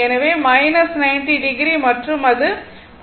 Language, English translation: Tamil, So, minus 90 degree and it is 45 degree plus